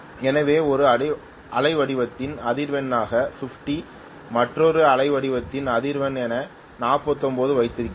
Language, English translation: Tamil, So I have 50 as the frequency in one waveform, 49 as the frequency in another waveform